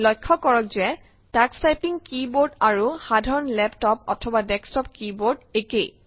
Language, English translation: Assamese, Notice that the Tux Typing keyboard and the keyboards used in desktops and laptops are similar